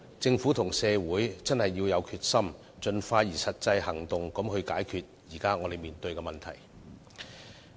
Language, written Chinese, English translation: Cantonese, 政府和社會必須有決心，盡快採取實際行動解決眼前的問題。, Both the Government and society must be determined to take action to resolve the problems before us expeditiously